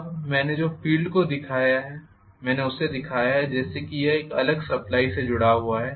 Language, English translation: Hindi, Now, the field what I have shown, I have shown it as though it is connected to a separate supply